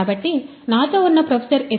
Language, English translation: Telugu, So, I have with me Professor S